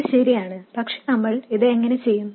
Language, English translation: Malayalam, This is correct but how do we do this